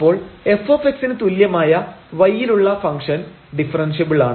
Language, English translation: Malayalam, So, suppose the function y is equal to f x is differentiable